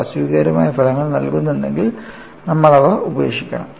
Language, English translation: Malayalam, If they yield physically unacceptable results, you have to discard them